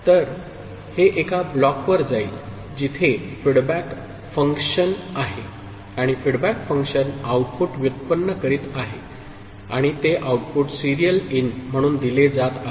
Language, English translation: Marathi, So, it is going to a block where there is a feedback function and that feedback function is generating an output, and that output is getting fed as serial in